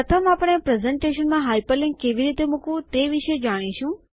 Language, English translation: Gujarati, First we will look at how to hyperlink with in a presentation